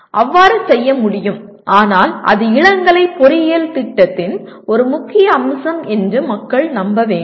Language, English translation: Tamil, It is possible to do so but provided all the concern people do believe that is an important feature of undergraduate engineering program